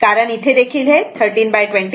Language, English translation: Marathi, So, this is 13